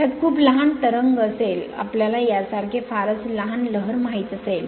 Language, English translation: Marathi, It will have the very small ripple, the you know very small ripple like this